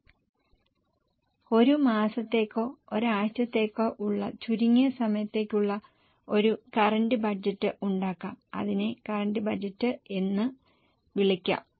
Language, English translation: Malayalam, You can also make a current budget which is even for a shorter time, say for a month or for a week that can be called as a current budget